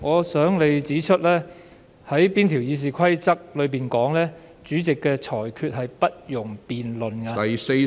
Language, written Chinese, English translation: Cantonese, 主席，請你指出《議事規則》哪一項條文訂明主席的裁決是不容辯論的。, Chairman please advise which rule under the Rules of Procedure stipulates that the Presidents ruling is not subject to debate